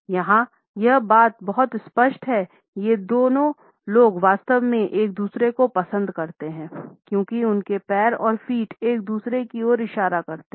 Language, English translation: Hindi, Here it is pretty clear these two people really like each other because their legs and feet are pointing towards each other